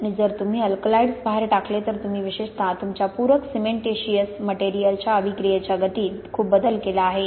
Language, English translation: Marathi, And if you leach out the alkalides you have very much changed the reaction kinetics particularly of your supplementary cementitious materials